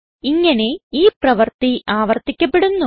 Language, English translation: Malayalam, This process is repeated